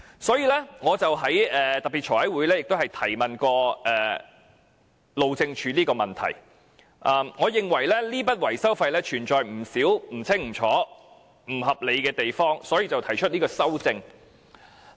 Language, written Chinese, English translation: Cantonese, 所以，我在財務委員會特別會議曾提問路政署有關問題，我認為這筆維修費存在不少不清不楚、不合理的地方，所以提出這項修正案。, Therefore I have raised related questions to the Highways Department at a special meeting of the Finance Committee and I thought this amount of maintenance cost had a lot of unclear and unreasonable aspects so I proposed the current amendment